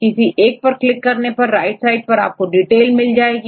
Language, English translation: Hindi, Then if you click on this first one right then it will show the details right fine